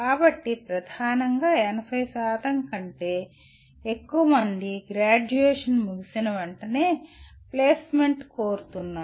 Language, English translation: Telugu, So, dominantly more than 80% are seeking placement immediately after graduation